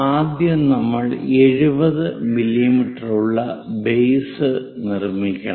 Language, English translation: Malayalam, First, we have to construct six 70 mm base